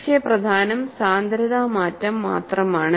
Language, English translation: Malayalam, And by and large, it is only density change